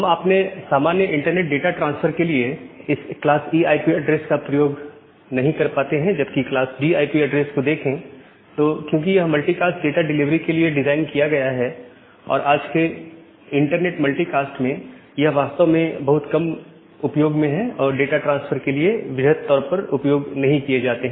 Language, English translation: Hindi, So, we are not able to use this class E IP address for our general internet data transfer whereas, class D data address because they are designated for multicast data delivery in today’s internet multicast are actually rarely used it is not used widely for data transfer